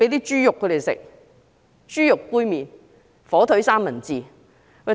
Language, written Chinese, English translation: Cantonese, 是豬肉，豬肉杯麵、火腿三文治。, Pork pork cup noodles and ham sandwiches